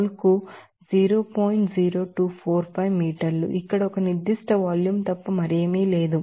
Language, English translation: Telugu, 0245 meter per mole here this is nothing but a specific volume